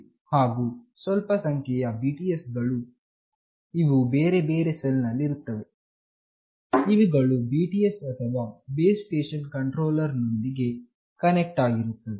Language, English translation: Kannada, And a number of BTS, which are in different cells, are connected with BSC or Base Station Controller